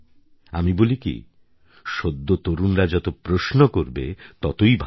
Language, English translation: Bengali, I say it is good that the youth ask questions